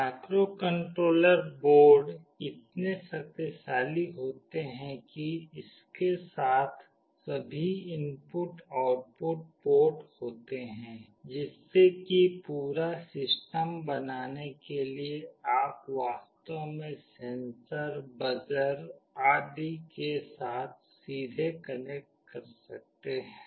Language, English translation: Hindi, The microcontroller boards are so powerful that all input output ports come along with it, such that you can actually connect directly with a sensor, with the buzzer etc